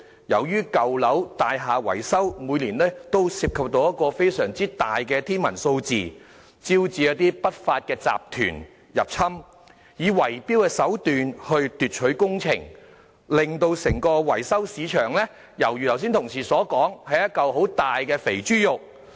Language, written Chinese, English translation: Cantonese, 由於舊樓的大廈維修工程每年均涉及一個非常大、近乎天文數字的款額，招致一些不法集團入侵，以圍標手段奪取工程，正如同事剛才所說，令整個維修市場猶如是一塊很大的"肥豬肉"。, Since the building maintenance works of old buildings entails a colossal or even astronomical amount of money every year it has attracted some unlawful syndicates to enter the trade in order to seize the works projects through bid - rigging . As Honourable colleagues mentioned earlier the maintenance services market has now been turned into a cash cow